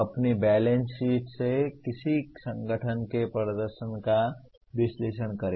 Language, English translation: Hindi, Analyze the performance of an organization from its balance sheet